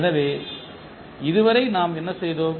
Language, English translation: Tamil, So, what we have done so far